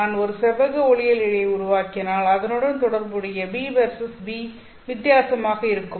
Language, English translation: Tamil, If I were to fabricate a rectangular optical fiber, then the corresponding beta versus V will be different